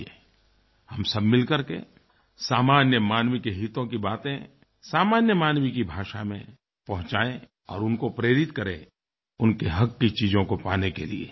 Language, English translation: Hindi, Come, let us collectively do such things of interest for the common man in their language and inspire them to avail things which are their rights